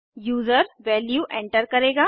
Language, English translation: Hindi, User will enter the value